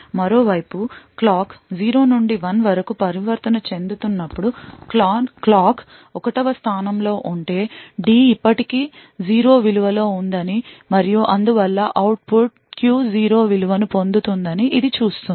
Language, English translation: Telugu, On the other hand, if the clock in fact has arrived 1st when the clock transitions from 0 to 1, it would see that the D is still at the value of 0 and therefore the output Q would obtain a value of 0